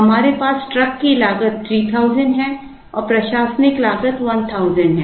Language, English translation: Hindi, We have the truck cost as 3000 and admin cost as 1000